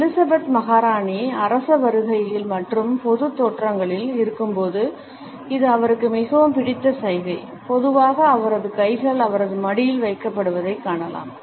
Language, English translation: Tamil, It is a favourite gesture of Queen Elizabeth when she is on royal visits and public appearances, and usually we find that her hands are positioned in her lap